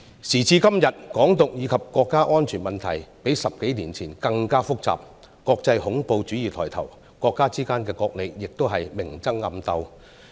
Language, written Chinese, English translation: Cantonese, 時至今日，"港獨"以及國家安全問題較10多年前更為複雜，國際恐怖主義抬頭，國家之間也明爭暗鬥。, At present the problems of Hong Kong independence and national security are more complicated than that of 10 years ago . International terrorism has gained ground and different countries contend with one another overtly and covertly